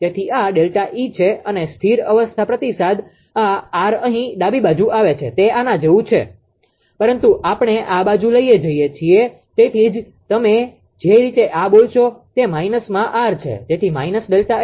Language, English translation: Gujarati, So, this is delta E and the steady state feedback this R coming here left hand side it is like this, but as we are taken to this side this side that that is why it is your what you call this way it is minus R, so minus delta F